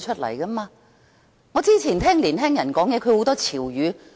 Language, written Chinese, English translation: Cantonese, 我也不大聽得懂年輕人的潮語。, I also cannot understand the buzzwords of the younger generation